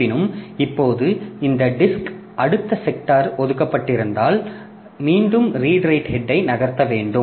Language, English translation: Tamil, However, once this is done, now if the next sector was assigned on this disk itself, then you need to move the redried head again